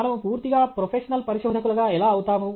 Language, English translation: Telugu, How do we become a fully professional researcher